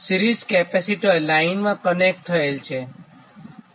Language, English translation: Gujarati, a series capacitor is connected in series, right